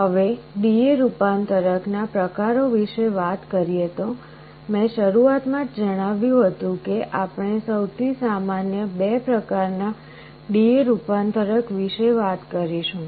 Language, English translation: Gujarati, Now, talking about the types of D/A convertor, I had mentioned in the beginning that we shall be talking about 2 types of D/A converter that is most common